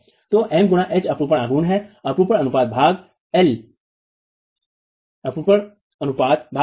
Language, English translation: Hindi, So, m by H is the moment to shear force ratio divided by L